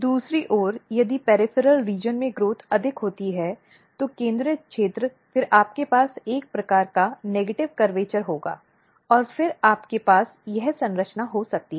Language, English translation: Hindi, On the other hand if growth is more in the peripheral region, then the central region then you will have a kind of negative curvature and then you can have this structure